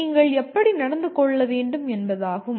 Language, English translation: Tamil, So that is what how you should behave